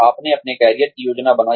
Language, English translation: Hindi, You planned your career